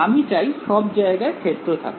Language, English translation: Bengali, I want the field everywhere